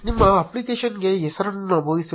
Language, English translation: Kannada, Enter a name for your application